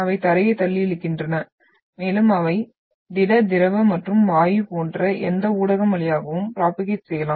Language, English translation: Tamil, They pushes and pulls the ground and they can propagate through any medium like solid liquid and gas